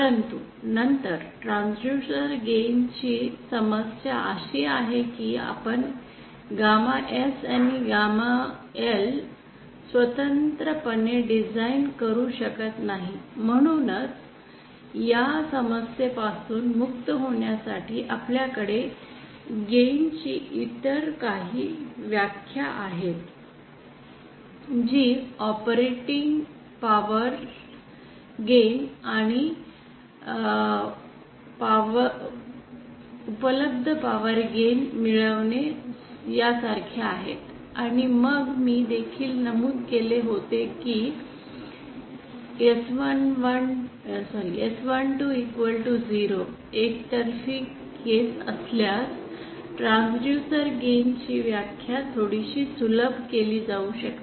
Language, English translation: Marathi, But then problem with transducer gain is that we cannot design gamma S and gamma L independently, hence to get rid of that problem we have some other definitions of gain like operating power of gain and available power gain, and then I had also mentioned for the unilateral case that is when S 1 2 is equal to 0, the definition of the transducer gain can be somewhat simplify